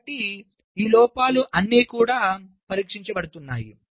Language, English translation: Telugu, so how many of these faults are getting tested